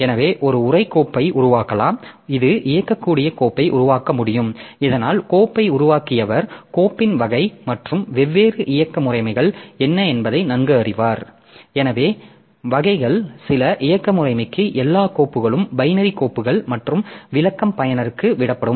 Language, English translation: Tamil, So, you may create a text file, you can create a source file, you can create executable file so that way the creator of the file so knows better like what is the type of the file and different operating systems so they will allow different types of files for some operating system all files are binary files and interpretation is left to the user